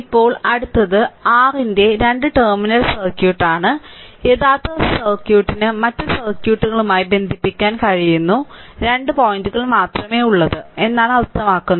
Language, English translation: Malayalam, Now, next is that your by two terminal circuit we mean that the original circuit has only two point that can be connected to other circuits right